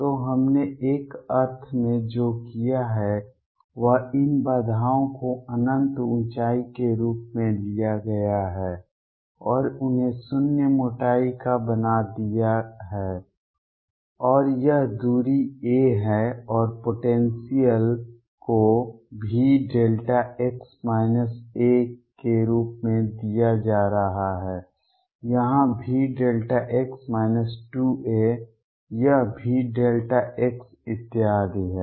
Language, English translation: Hindi, So, what we have done in a sense is taken these barriers to be of infinite height and made them of zero thickness and this distance is a and the potential is going to be given as delta x minus a here V delta x minus 2 a this is V delta x and so on